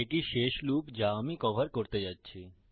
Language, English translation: Bengali, This is the last loop Im going to cover